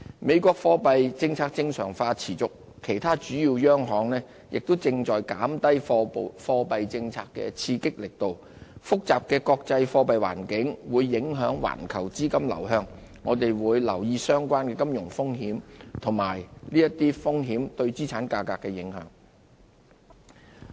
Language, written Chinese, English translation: Cantonese, 美國貨幣政策正常化持續，其他主要央行亦正在減低貨幣政策的刺激力度，複雜的國際貨幣環境會影響環球資金流向，我們會留意相關的金融風險和這些風險對資產價格的影響。, While the monetary policy normalization continues in the United States other major central banks also reduce monetary stimuli . As the complicated international monetary environment will influence global capital flow we will monitor relevant financial risks and their impact on asset prices